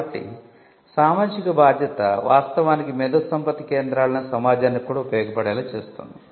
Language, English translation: Telugu, So, the social responsibility will actually make the IP centres role as something that will also benefit the society